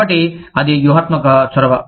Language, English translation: Telugu, So, that is a strategic initiative